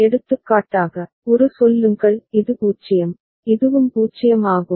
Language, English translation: Tamil, For example, say a this is 0, and this is also 0